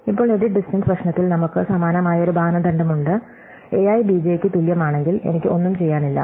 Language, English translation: Malayalam, Now, in the edit distance problem we have a similar criterion, if a i is equal to b j, then I have nothing to do